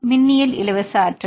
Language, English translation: Tamil, El electrostatic free energy